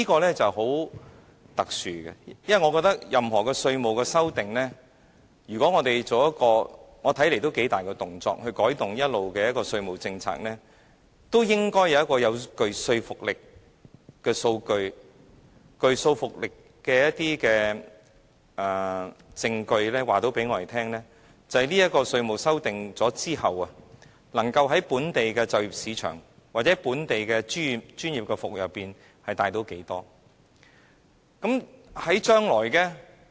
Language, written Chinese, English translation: Cantonese, 這是很特殊的，因為我覺得任何對《稅務條例》的修訂，如果要作出一個看似很大的動作以改動恆常的稅務政策，都應該有一些具說服力的數據或證據，告訴大家在修訂《稅務條例》後，能夠在本地就業市場或本地專業服務中帶動多少經濟利益。, This is a very special requirement . The reason is that if we want to make any drastic amendment to the Inland Revenue Ordinance that will depart from the established taxation policy cogent data or evidence must be produced to tell people the amounts of economic benefits the local employment market or professional services sectors can get after amending the Ordinance